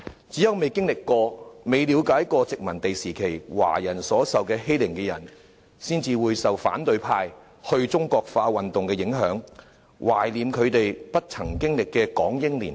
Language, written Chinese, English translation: Cantonese, 只有未經歷過、未了解過殖民地時期華人受盡欺凌的人，才會受反對派"去中國化"運動的影響，懷念他們不曾經歷的港英年代。, Only those who have never experienced the suffering or who have never tried to understand how Chinese people had been horrendously bullied during the colonial era will be influenced by the desinicization campaign of the opposition camp and remain nostalgic about the colonial era which they have never experienced